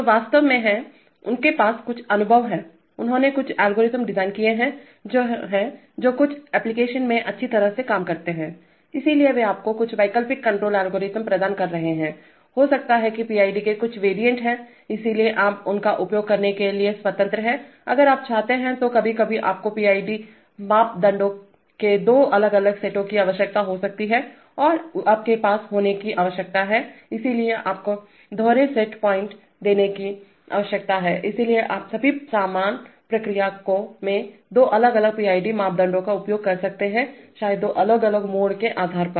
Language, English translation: Hindi, So they are actually, they have some experience, they have designed some algorithms which are, which are, work well in certain applications, so they are providing you some alternate control algorithm maybe some variants of PID, so you are free to use them if you want, then sometimes you may require two different sets of PID parameters and you need to have, so you need to give dual set points, so all the same process you could use two different PID parameters maybe depending on two different modes